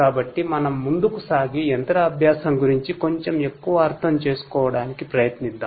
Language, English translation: Telugu, So, let us move forward and try to understand a bit more about machine learning